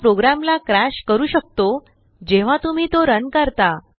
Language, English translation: Marathi, It may crash the program when you run it